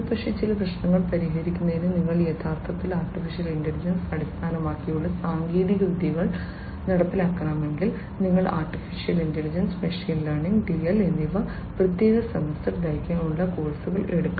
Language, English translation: Malayalam, But, then if you need to actually implement AI based techniques to solve certain problems, you have to take separate semester long courses in AI, ML, DL, etcetera